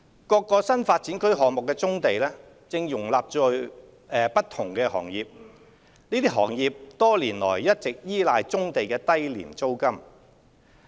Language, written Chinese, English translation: Cantonese, 各個新發展區項目的棕地正容納不同行業，這些行業多年來一直依賴棕地的低廉租金。, Brownfield sites within various NDA projects are accommodating different industrial operations which have been relying on the low rent for years